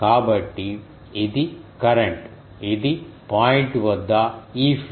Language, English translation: Telugu, So, this is the current ah this is the e field at the point